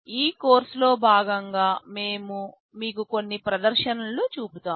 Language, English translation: Telugu, As part of this course, we shall be showing you some demonstrations